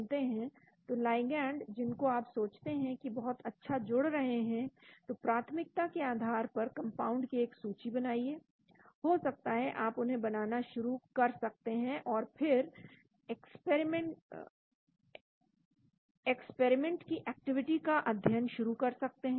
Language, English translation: Hindi, so ligands which you think bind very well, then prepare a list of prioritized compounds maybe you start synthesizing them and then start studying the experimental activity